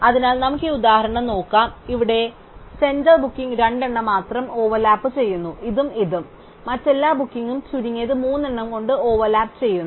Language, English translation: Malayalam, So, let us look at this example, here the center booking overlaps with only two, this one and this one, every other booking overlaps with at least three